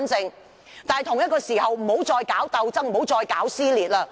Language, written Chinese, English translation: Cantonese, 與此同時，大家不要再搞鬥爭，不要再搞撕裂。, At the same time we hope there will be no more all infighting which has torn our society apart